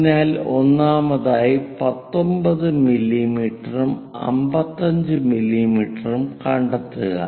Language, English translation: Malayalam, So, first of all, locate both 19 mm and 55 mm